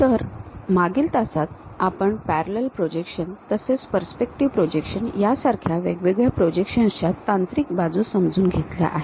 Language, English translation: Marathi, So, in the last class, we have seen different kind of projection techniques namely the parallel projections and perspective projections